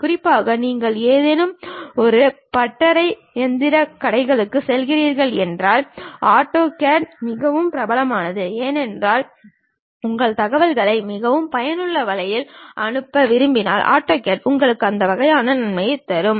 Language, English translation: Tamil, And especially if you are going to any workshops machine shops still AutoCAD is quite popular, because you want to send your information in a very effective way AutoCAD really gives you that kind of advantage